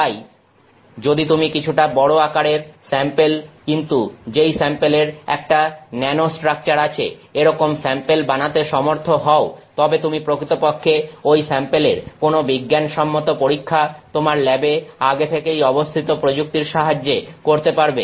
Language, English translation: Bengali, Therefore, if you are able to make a slightly larger sized sample off ah, but that, but a sample that has this nanostructure unit, then you can actually do some scientific testing of that sample using techniques that you already have in the lab